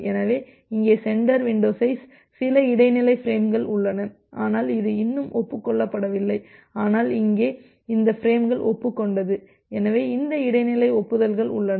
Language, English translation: Tamil, So, here in the sender window size; it may happen that well there are some intermediate frames here this had been same, but not yet acknowledged, but the frames here this frames they got acknowledged so this intermediate acknowledgements are there